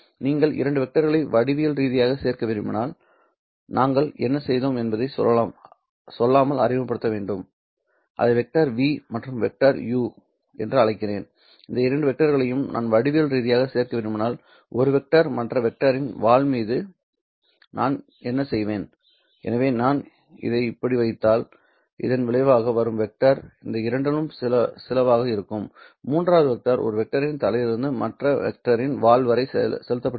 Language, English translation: Tamil, What we have also done is to introduce without telling you that if I want to add two vectors geometrically so call this as vector v and the vector u if I want to add these two vectors geometrically, so call this as vector V and the vector U, if I want to add these two vectors geometrically, what I would do is to put one vector, say U on the tail of the other vector